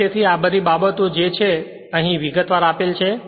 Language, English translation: Gujarati, And therefore, all these things are your what you call detailable here